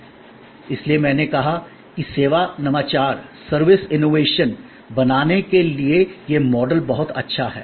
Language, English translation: Hindi, So, that is why I said that this model is very good to create service innovation